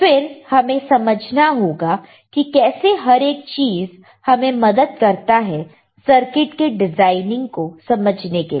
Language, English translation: Hindi, Then we should understand how each thing helps us to understand for the design of the circuit